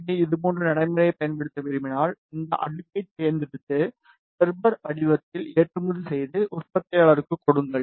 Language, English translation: Tamil, Now again if you want to fabricate this particular PCB use the similar procedure, just select this layer and then export it in Gerber form and then give it to manufacturer